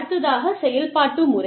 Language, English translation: Tamil, So, operation method